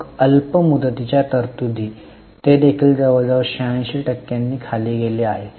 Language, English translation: Marathi, Then, short term provisions, they have also gone down almost by 86%